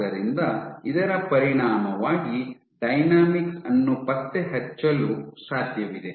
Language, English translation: Kannada, So, as a consequence you can track the dynamics